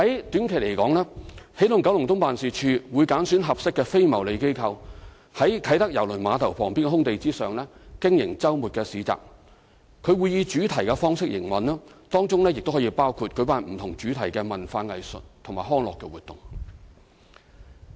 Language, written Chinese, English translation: Cantonese, 短期而言，起動九龍東辦事處會揀選合適的非牟利機構，在啟德郵輪碼頭旁邊空地上經營周末市集，會以主題方式營運，當中可包括舉辦不同主題的文化藝術及康樂活動。, In the short term the Energizing Kowloon East Office will select suitable non - profit making organizations to participate in weekend markets at the vacant site adjacent to the Cruise Terminal using a thematic operation mode including organizing cultural arts and recreational activities using different themes